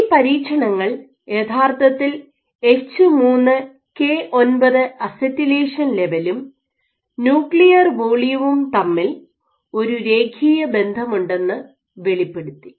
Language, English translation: Malayalam, So, these experiments actually revealed that across the conditions there is a very linear relationship between H3K9 acetylation levels and nuclear volume